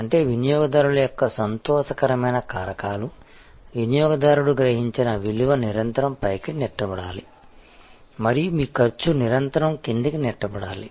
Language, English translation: Telugu, That means, the delight factors of the customers, the value perceived by the customer, should be constantly pushed upwards and your cost should be constantly pushed downwards